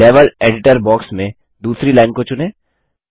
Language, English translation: Hindi, Lets select the second line in the Level Editor box